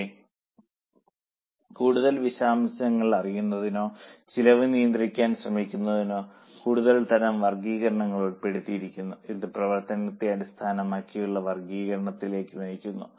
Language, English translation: Malayalam, But to know more details or to try to control the costs, further type of classifications were also evolved and that led to classification by function